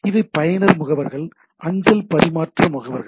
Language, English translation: Tamil, So, these are the user agents, mail transfer agents